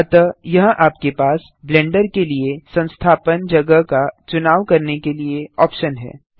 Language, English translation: Hindi, So here you have the option to Choose Install location for Blender